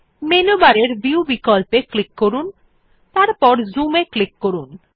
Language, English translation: Bengali, Click on the Viewoption in the menu bar and then click on Zoom